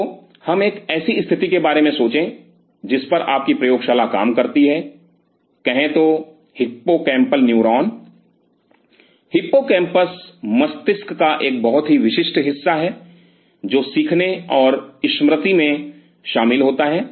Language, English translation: Hindi, So, let us think of a situation your lab works on say hippocampal neuron, hippocampus is a very specialized part of the brain which is involved in learning and memory